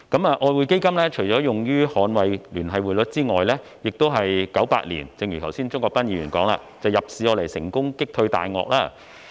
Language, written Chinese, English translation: Cantonese, 外匯基金除了用於捍衞聯繫匯率之外，亦一如剛才鍾國斌議員所說，在1998年用作入市成功擊退"大鱷"。, As described by Mr CHUNG Kwok - pan just now apart from defending the Linked Exchange Rate the EF assets were also used in 1998 to successfully fend off major speculators in the market